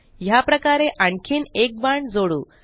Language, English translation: Marathi, Let us add one more arrow in the same manner